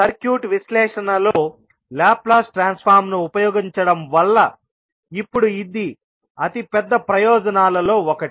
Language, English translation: Telugu, Now this is the one of the biggest advantage of using Laplace transform in circuit analysis